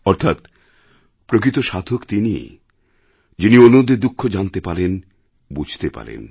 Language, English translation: Bengali, The true saint is the one who recognizes & understands the sufferings of others